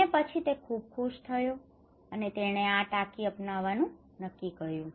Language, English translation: Gujarati, And then he was very happy and decided to go for this tank